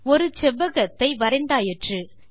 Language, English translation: Tamil, You have drawn a rectangle